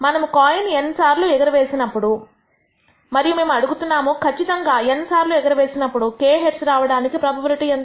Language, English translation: Telugu, Let us take the case of n coin tosses of an experiment where we have do n coin tosses and we are asking the question what is the probability of obtaining exactly k heads in n tosses